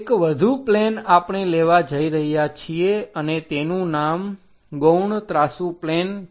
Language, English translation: Gujarati, One more plane we are going to take and the name is auxiliary inclined plane